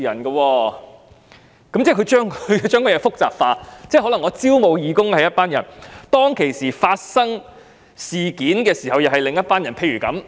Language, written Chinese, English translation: Cantonese, 這樣做便會把事情複雜化了，因為招募義工時是一些人，發生事情時又是另一些人。, The matter will thus become complicated because while one group of people is involved in the recruitment of volunteers another group of people is involved when an incident occurs